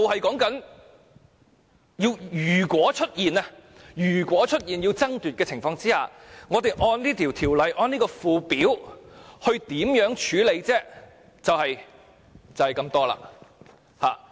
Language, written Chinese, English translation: Cantonese, 辯論議題是，如果出現要爭奪的情況，我們按這項《條例草案》中的附表，可以如何處理呢？, The issue under debate is how should the situation be handled in accordance with the Schedule of the Bill in case of a fight for ashes?